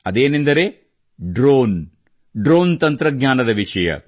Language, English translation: Kannada, This topic is of Drones, of the Drone Technology